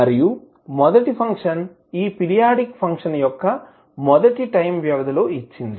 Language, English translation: Telugu, And the first function is the, the value of this periodic function at first time period